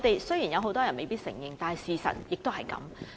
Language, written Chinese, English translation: Cantonese, 雖然很多人未必會承認，但事實卻是如此。, That is a fact though not one to which many people may care to admit